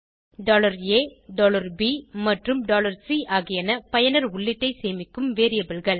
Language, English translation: Tamil, $a, $b and $c are variables that store user input